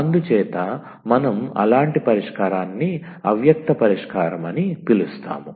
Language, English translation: Telugu, So, we call such solution as implicit solution